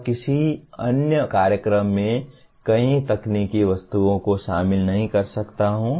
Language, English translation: Hindi, And in some other program, I may not include that many technical objects